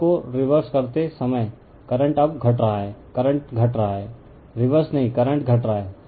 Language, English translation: Hindi, When you are reversing the that means, current is decreasing now current is we are decreasing, not reversing, we are decreasing the current